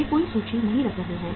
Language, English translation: Hindi, They are not keeping any inventory